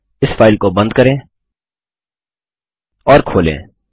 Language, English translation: Hindi, Let us close and open this file